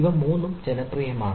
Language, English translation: Malayalam, these are the three popular